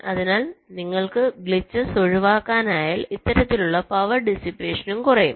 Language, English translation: Malayalam, so if you can avoid glitch, this kind of power dissipation will also go down